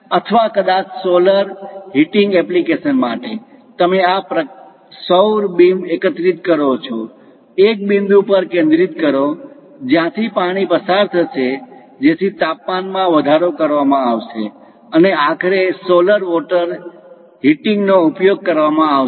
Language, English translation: Gujarati, Or perhaps for solar heating applications, you collect these solar beams; focus on one point through which water will be passed, so that temperature will be increased and finally utilized for solar heating of water